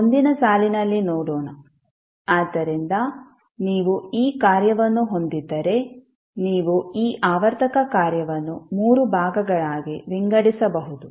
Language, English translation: Kannada, Let’ us see in the next line, so if you have this particular function you can divide this the periodic function into three parts